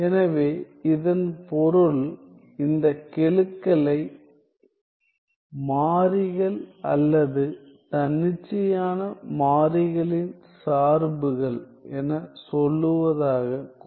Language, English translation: Tamil, So, which means let us keep these coefficients as let us say constant or functions of independent variables